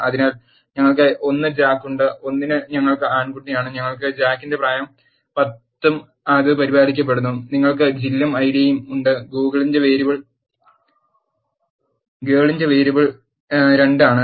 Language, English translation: Malayalam, So, we have 1 Jack and for 1 we have boy and we have age of Jack as 10 and that is also been taken care, and you have Jill and the Id variable of Jill is 2